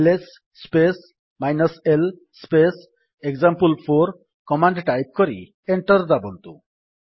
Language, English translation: Odia, Type the command: $ ls space l space example4 press Enter